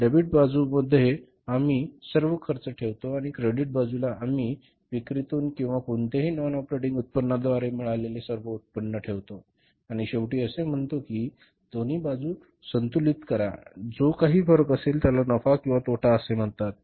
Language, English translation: Marathi, In the debit side we put all expenses and in the credit side we put all incomes coming from sales or any non operating income and then finally we say balance both the sides and difference is called as the profit or loss